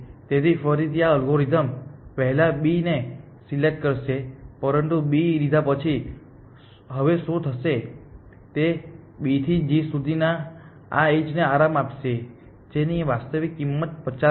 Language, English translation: Gujarati, So, again this algorithm will explode B first, but what will happen now after picking B it will relax this edge from B to g which actual cost is 50